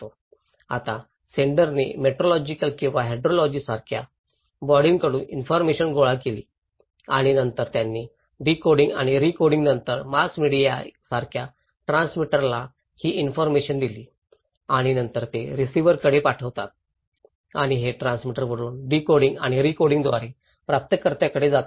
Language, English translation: Marathi, Now senders collecting informations from some organizations like meteorology or hydrology and then they passed these informations to the transmitter like mass media after decoding and recoding and then they send it to the receiver and also these goes from transmitter to the receiver through decoding and recoding